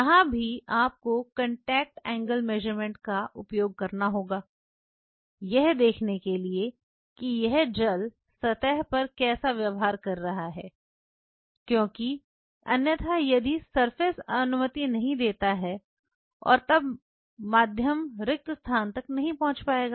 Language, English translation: Hindi, Here also you will have to use contact angle measurements to see how this gel is behaving on the surface because otherwise if the surface does not allow and then the medium will not you know move into these spaces fine